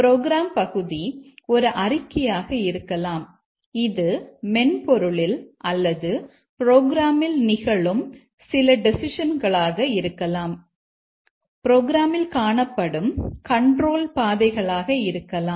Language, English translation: Tamil, The program element can be a statement, it can be some decisions that occur in the software in the program, it can be some paths, control flow in the program and so on